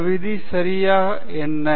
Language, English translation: Tamil, What exactly is this rule okay